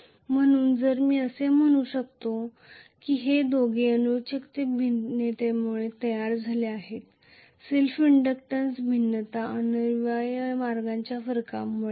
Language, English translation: Marathi, So, if I may say that these two are due to variation in the reluctance the self inductance variation is essentially due to the variation in the reluctant path